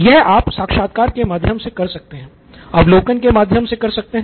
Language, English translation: Hindi, You can either do it through interviews, through observations, observations are much better way